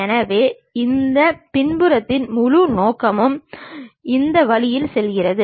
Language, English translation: Tamil, So, the whole objective at that back end it goes in this way